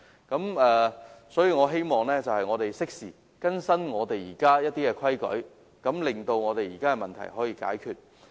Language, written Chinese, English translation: Cantonese, 因此，我希望政府適時更新現有的規例，令現時的問題得以解決。, Therefore I hope the Government can update the existing regulations at an appropriate time to resolve the problems